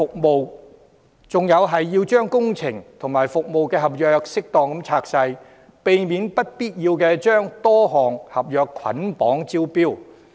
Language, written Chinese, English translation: Cantonese, 我建議要將工程和服務合約適當分拆，避免不必要地將多項合約捆綁招標。, I have also proposed splitting works and service contracts as appropriate to avoid unnecessary bundled tender of multiple contracts